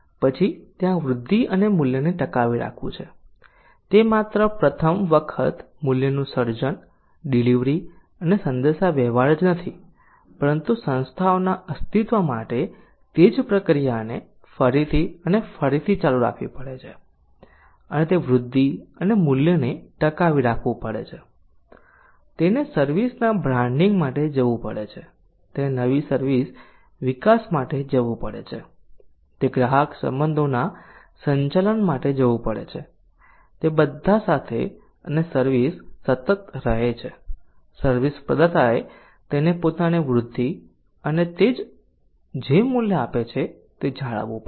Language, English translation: Gujarati, then there is sustaining the growth and the value so it is not only the creating delivering and communicating value for the first time but the same process has to go on again and again for the survival of the organizations and that is why it has to sustain the growth and value so it has to go for branding of the services it has to go for new service development it has to go for customer relationship management so with all those and the service has be sustain the service provider has to sustain its own growth and the value that it delivers